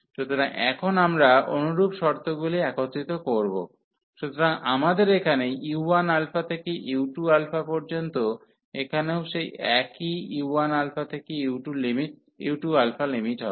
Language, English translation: Bengali, So, now we will combine the similar terms, so here we have the same limits u 1 alpha to u 2 alpha here also u 1 alpha to u 2 alpha